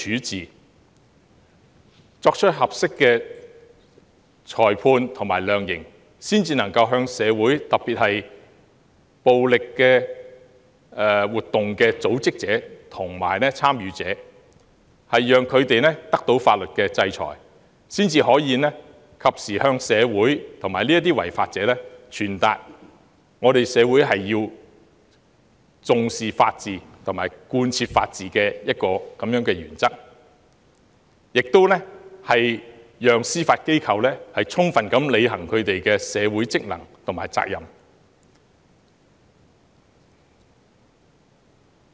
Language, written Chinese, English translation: Cantonese, 只有作出合適的裁判及量刑，才能令社會，特別是暴力活動的組織者及參與者得到法律制裁，並及時向社會和違法者傳達社會重視法治及貫徹法治原則的信息，以及讓司法機構充分履行社會職能和責任。, Only appropriate judgments and sentencing can bring the community especially organizers and participants of violent activities to face due legal sanction; send a message promptly to the community and law - breakers that society attaches great importance to the rule of law and adhere to the principle of the rule of law and allows the Judiciary to duly perform its social functions and responsibilities